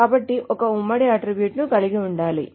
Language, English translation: Telugu, So there has to be a common attribute